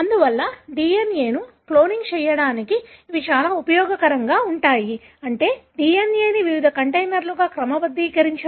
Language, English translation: Telugu, Therefore, they are very, very useful for cloning DNA, meaning to sort the DNA into different containers